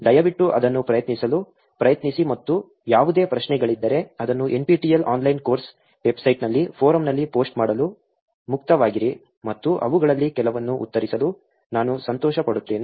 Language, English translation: Kannada, Please try to attempt it and if there are any questions, feel free to post it on the forum on NPTEL online course website and I'll be happy to actually answer some of them